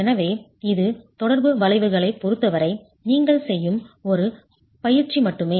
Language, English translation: Tamil, So this is only an exercise that you will do as far as the interaction curves are concerned